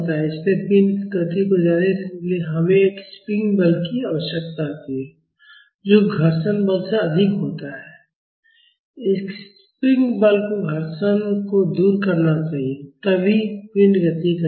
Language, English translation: Hindi, So, to continue the motion of the body, we need a spring force which is greater than the friction force; the spring force should overcome the friction, then only the body will move